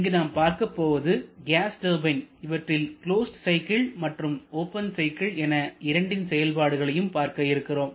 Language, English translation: Tamil, Here we shall be discussing about gas turbines both closed cycle and open cycle